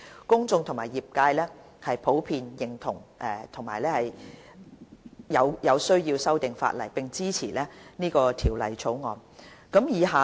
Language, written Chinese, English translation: Cantonese, 公眾和業界普遍認同有需要修訂法例，並支持《條例草案》。, The public and trade generally recognize the need for the legislative amendments and support the Bill